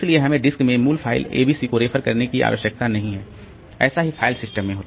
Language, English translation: Hindi, So, we don't need to refer to the original file ABC in the disk